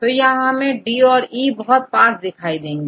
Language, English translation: Hindi, So, you can see D and E are close to each other